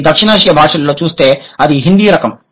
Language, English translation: Telugu, That is the Hindi type if you look at the South Asian languages